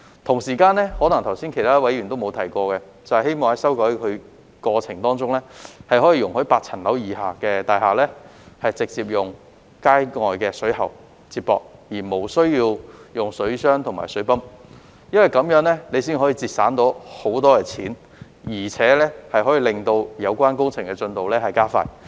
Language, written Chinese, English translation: Cantonese, 同時，剛才其他議員可能也沒有提到，就是希望在修改過程中，容許8層樓以下的大廈直接使用街外水喉接駁，無須使用水箱和水泵，因為這樣才可以節省大量金錢，亦可令有關工程進度加快。, At the same time as other Members may not have mentioned earlier it is hoped that in the process of amendment pipe joints in the streets are allowed to be used directly for buildings not more than eight - storey tall to obviate the need of using water tanks and pumps as this can save a lot of money and speed up the progress of the relevant works . Otherwise it will be impossible to complete the amendment of the Fire Safety Buildings Ordinance Cap